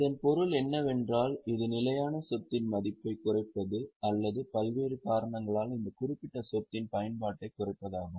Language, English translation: Tamil, What it means is it is a reduction in the value of fixed asset or it is reduction in the utility of that particular asset due to variety of reasons